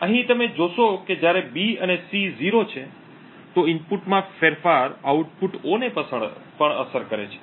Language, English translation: Gujarati, So over here you see that when B and C are 0s a change in input A also affects the output O